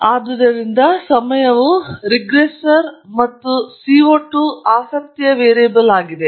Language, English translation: Kannada, So, the time is a regressor and the CO 2 is the variable of interest